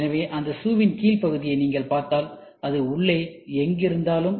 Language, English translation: Tamil, So, if you see the bottom part of those shoe, wherever it is there inside